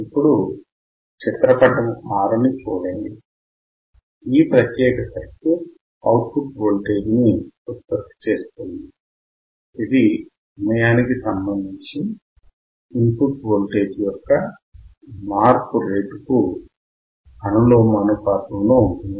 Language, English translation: Telugu, Now, if you see figure 6, this particular circuit produces a voltage output, which is directly proportional to the rate of change of input voltage with respect to time